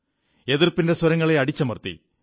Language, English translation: Malayalam, The voice of the opposition had been smothered